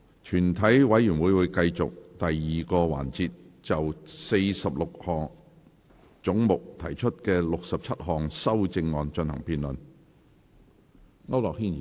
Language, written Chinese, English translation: Cantonese, 全體委員會會繼續第二個環節，就46個總目提出的67項修正案進行辯論。, The committee will continue the second session to debate the 67 amendments to 46 heads